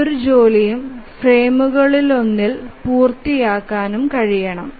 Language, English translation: Malayalam, So, any job should be able to run to completion in one of the frames